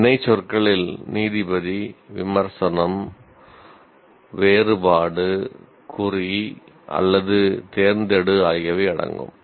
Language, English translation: Tamil, Action verbs include judge, critic, differentiate, mark or select